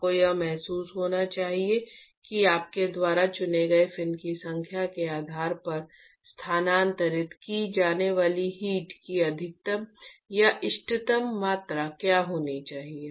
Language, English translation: Hindi, You must get a feel of what should be the maximum or optimum amount of heat that will be transferred depending upon the number of fins that you would choose